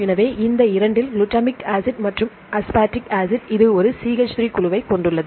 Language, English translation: Tamil, So, among these two, glutamic acid and aspartic acid, this has one CH3 group more